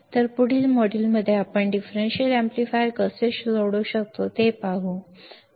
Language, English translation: Marathi, So, in the next module, we will see how we can solve the differential amplifier